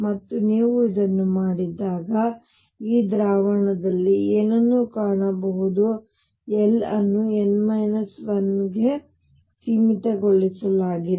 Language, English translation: Kannada, And what is also found in this solution when you do it that l is restricted to below n minus 1